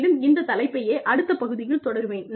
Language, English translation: Tamil, And, i will continue with this topic, in the next part